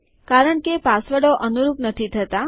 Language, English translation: Gujarati, This is because the passwords do not match